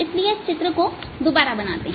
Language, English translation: Hindi, so let's now make this picture again